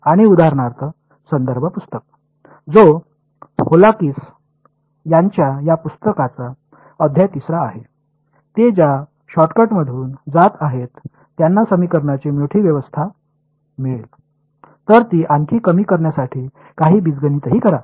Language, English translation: Marathi, And the reference book for example, which is chapter 3 of this book by Volakis, they do not do the shortcut they go through get a larger system of equations then do some algebra to reduce it further